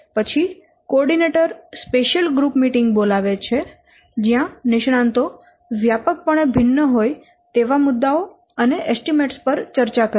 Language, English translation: Gujarati, Then the coordinator calls a group meeting, especially focusing on having the experts, discuss points where their estimates varied widely